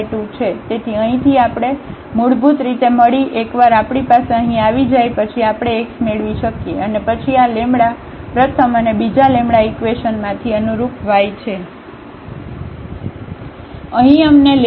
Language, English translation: Gujarati, So, from here we got basically lambda; once we have the lambda here we can get x and then corresponding y from this first and the second equations